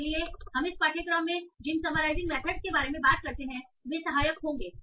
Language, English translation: Hindi, That's where the summarization methods that we talk in this course will be helpful